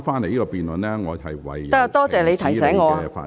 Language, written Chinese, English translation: Cantonese, 可以了，多謝你提醒我。, Alright thank you for the reminder